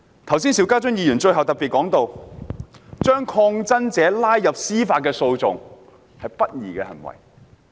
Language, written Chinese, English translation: Cantonese, 剛才邵家臻議員最後提到，把抗爭者拉入司法訴訟是不公義的行為。, Just now Mr SHIU Ka - chun stated at the end of this speech that pulling protesters into judicial proceedings is injustice